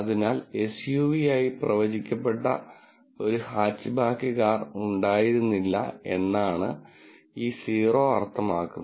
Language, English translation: Malayalam, So, this 0 means there was no car which was a hatchback, which was predicted as an SUV